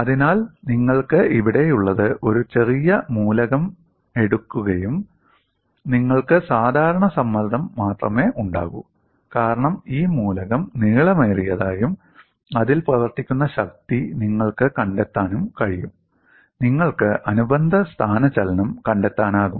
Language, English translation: Malayalam, So, what you have here is, a small element is taken and you are having only normal stress, because of that the element has elongated and you can find out the force which is acting on it, you can find out the corresponding displacement and it is fairly straight forward